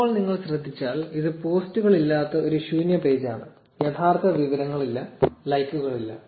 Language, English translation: Malayalam, Now if you notice this is an empty page with no posts, no real information no likes